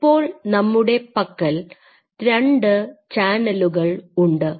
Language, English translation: Malayalam, So, we are having 2 channels now right